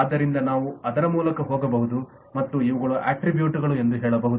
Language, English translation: Kannada, so we can go through that and say that these will be the attributes